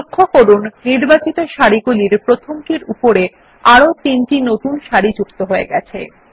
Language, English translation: Bengali, Notice that 4 new rows are added above the first of the selected rows